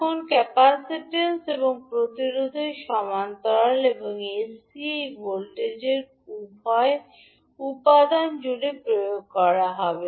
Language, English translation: Bengali, Now the capacitance and resistance are in parallel and this voltage would be applied across both of the components because both are in parallel